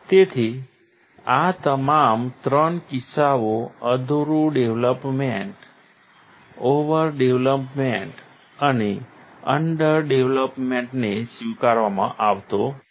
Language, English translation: Gujarati, So, these all 3 cases incomplete development, over development and underdevelopment is not accepted